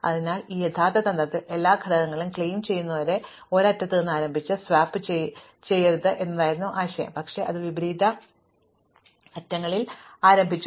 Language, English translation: Malayalam, So, in his original strategy, the idea was to not start from one end and sweep until you claim all the elements, but you start at opposite ends